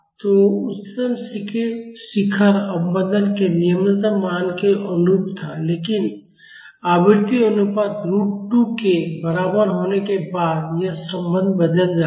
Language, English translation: Hindi, So, the highest peak was corresponding to the lowest value of damping, but after frequency ratio is equal to root 2 this relationship changes